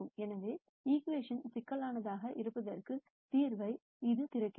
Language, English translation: Tamil, So, this opens out the possibility of a solution to this equation being complex also